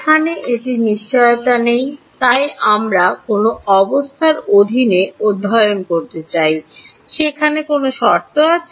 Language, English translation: Bengali, Here, it is not guaranteed, so we want to study under which conditions, are there any conditions